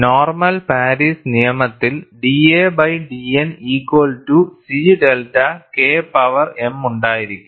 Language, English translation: Malayalam, Normal Paris law will have d a by d N equal to C delta K power m